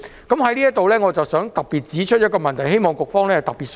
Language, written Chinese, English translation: Cantonese, 我想在這裏指出一個問題，希望局方特別注意。, I wish to point out an issue here for the particular attention of the authorities